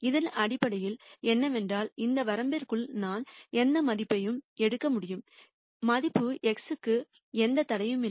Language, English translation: Tamil, What it basically means is within this range I can take any value there is no restriction on the value right X